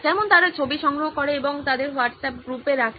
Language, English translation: Bengali, Like they collect pictures and put it up in their WhatsApp group